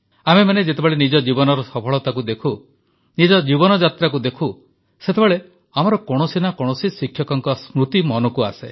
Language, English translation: Odia, Whenever we think of the successes we have had during the course of our lifetime, we are almost always reminded of one teacher or the other